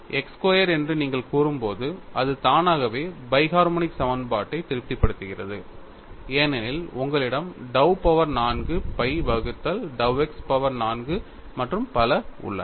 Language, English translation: Tamil, When you say x squared, it automatically satisfies the bi harmonic equation, because you have dou power 4 phi by dow x power 4 and so on